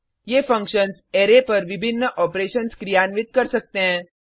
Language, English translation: Hindi, These functions can perform various operations on an Array